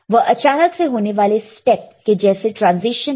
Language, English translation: Hindi, It is a sudden step like transition